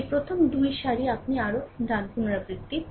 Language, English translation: Bengali, This first 2 row you repeat further, right